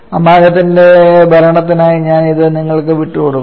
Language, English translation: Malayalam, And for the amagat’s rule I am leaving it to you